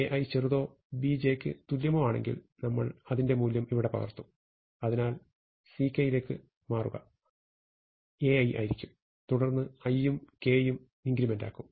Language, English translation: Malayalam, If A i is smaller or equal to B j what we will do is, we will copy this value here, and then we will increment i and we will increment j